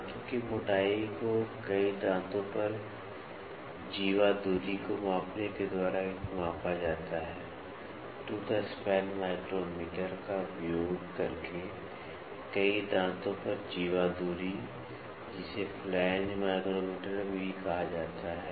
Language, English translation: Hindi, The tooth thickness is measured by measuring the chordal distance over a number of teeth, chordal distance over a number of teeth by using a tooth span micrometer, also called as flange micrometer